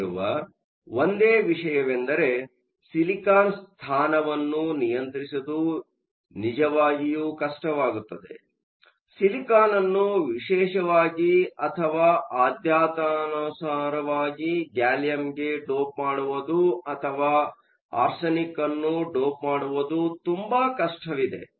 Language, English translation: Kannada, The only issue here it is really hard to control the position of silicon; it is very hard to get silicon to selectively dope into gallium or to selectively dope into arsenic